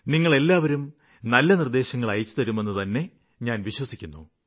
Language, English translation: Malayalam, I believe that you will send your good suggestions